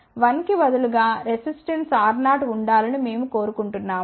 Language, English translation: Telugu, So, let us say instead of one we want the resistance to be equal to R 0